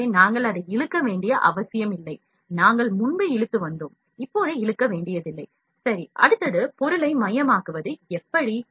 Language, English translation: Tamil, So, we need not to drag it like, we were dragging before, we need not to drag it, ok, next one is center object